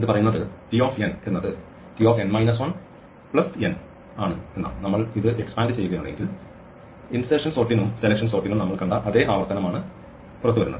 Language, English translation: Malayalam, This says t n is t n minus 1 plus n and if we expand this this comes out to be exactly the same recurrence that we saw for insertion sort and selection sort